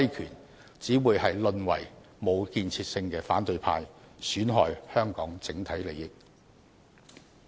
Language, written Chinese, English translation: Cantonese, 他們這樣只會淪為無建設性的反對派，損害香港社會整體利益。, In doing so they will only end up being an unconstructive opposition camp that harms the overall interests of Hong Kong society